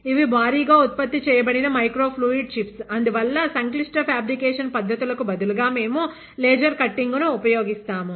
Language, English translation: Telugu, These are mass produced microfluidic chips; but because these are mass produced, they do not employee, they complex micro fabrication techniques, instead we use very fine laser cutting